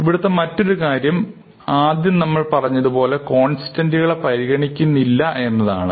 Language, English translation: Malayalam, Now, the other thing, we mentioned is that we are going to ignore constants